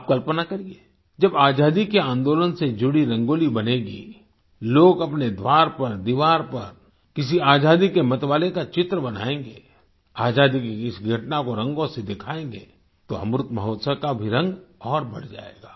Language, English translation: Hindi, Just imagine, when a Rangoli related to the freedom movement will be created, people will draw a picture of a hero of the freedom struggle at their door, on their wall and depict an event of our independence movement with colours, hues of the Amrit festival will also increase manifold